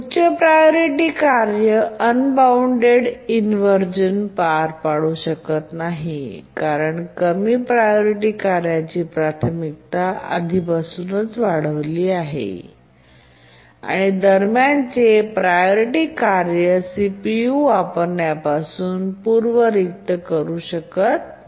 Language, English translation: Marathi, So, the high priority task cannot undergo unbounded inversion because the low priority task's priority is already increased and the intermediate priority task cannot really preempt it from CPU uses